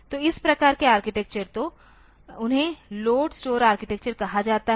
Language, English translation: Hindi, So, this type of architecture so, they are called load store architectures